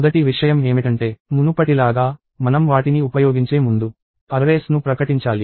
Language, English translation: Telugu, The first thing is – as before, we need to declare arrays before we use them